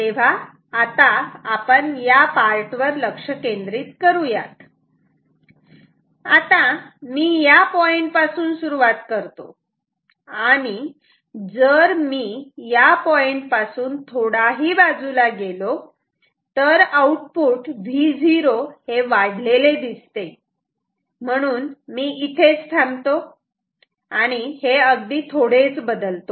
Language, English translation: Marathi, So, let us focus on this part now say I start from this point and by some chance I move a bit away from this see the output is increased V o is increase therefore, I come here ok, only in a small change